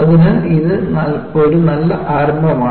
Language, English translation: Malayalam, So, it is a good starting point